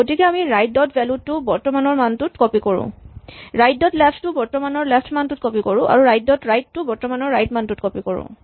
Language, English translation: Assamese, So, we copy right dot value to the current value right dot left to the current left right dot right to the current right